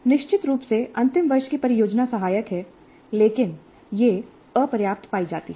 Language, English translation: Hindi, Certainly final project is helpful, but it is found to be inadequate